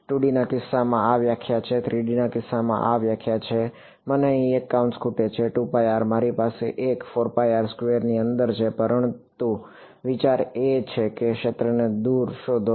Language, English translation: Gujarati, In the case of 2 D this is the definition, in the case of 3 D this is the definition; inside of a 2 pi r I have a 4 pi r squared, but the idea is the same find the field far away